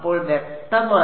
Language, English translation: Malayalam, So, for clear